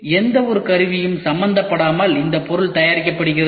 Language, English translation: Tamil, And this object is made without involving any tools